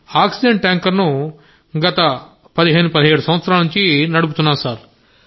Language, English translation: Telugu, I've been driving an oxygen tanker for 15 17 years Sir